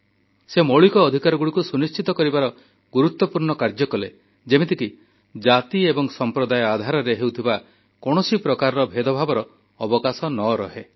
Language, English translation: Odia, He strove to ensure enshrinement of fundamental rights that obliterated any possibility of discrimination on the basis of caste and community